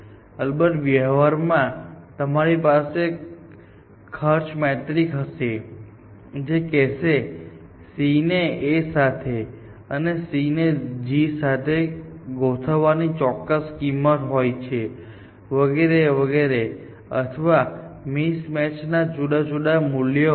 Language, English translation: Gujarati, In practice of course, you may have a cost matrices which would say that, aligning a C with A has a certain cost, aligning a C with a G has a certain cost and so on and so forth or mismatches may have you know different cost